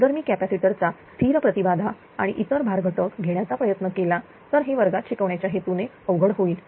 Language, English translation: Marathi, If I try to do constant impedance of capacitor and other composite load it will be difficult for the classroom purpose